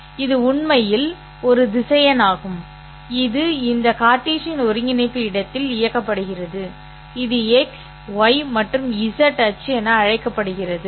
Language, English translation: Tamil, Each of those vectors are VX, X, hat is actually a vector which is directed in this Cartesian coordinate space, call this as the x, y, and z axis